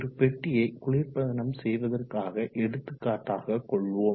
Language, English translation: Tamil, Let us take an example of refrigerating the volume of box